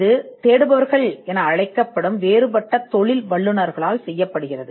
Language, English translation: Tamil, It is done by a different set of professionals called searchers